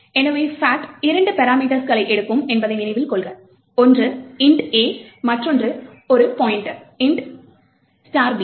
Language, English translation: Tamil, So, note that fact takes two parameters, one is int A and another one is a pointer and the other one is an int star B